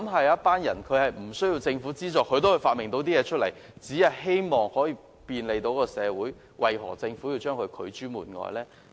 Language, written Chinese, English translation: Cantonese, 有些人沒有政府資助下發明出新產品，只為便利社會，政府為何將他們拒諸門外？, The only purpose of some people in inventing new products without government subvention is to bring convenience to society . Why does the Government turn them away?